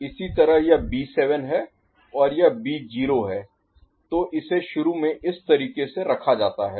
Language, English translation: Hindi, Similarly this is B 7 and this is B naught so, this is the way initially it is put right